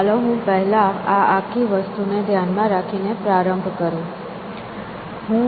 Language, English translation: Gujarati, So, let me begin by first putting this whole thing into perspective